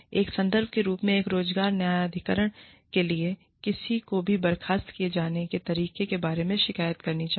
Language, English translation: Hindi, As a point of reference, for an employment tribunal, should someone make a complaint about the way, they have been dismissed